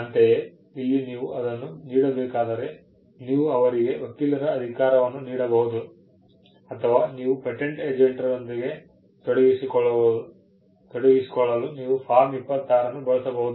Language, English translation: Kannada, Similarly, here you do that by, you could either give her a, give a power of attorney or you have Form 26, which you use to engage a patent agent